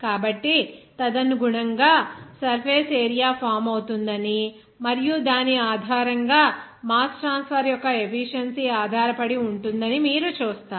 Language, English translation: Telugu, So, accordingly, you will see that there will be a formation of surface area and based on which that efficiency of the mass transfer will depend on